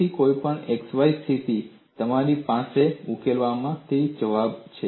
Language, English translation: Gujarati, So, at any xy position, you have the answer from the solution